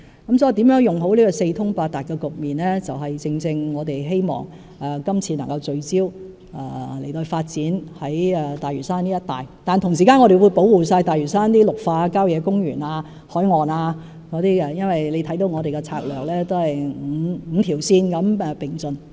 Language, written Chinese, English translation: Cantonese, 如何善用這個四通八達的局面，正是我們希望今次能夠聚焦發展大嶼山一帶的原因，但同時我們會完全保護大嶼山的綠化地帶、郊野公園、海岸等，因為大家可看到我們的策略是5條線並進的。, How can we capitalize on this situation of high accessibility? . This is precisely the reason why we hope to focus on the development of the areas around Lantau this time around . At the same time we will fully protect the green belts country parks and coastlines of Lantau because Members can see that our strategy is five - pronged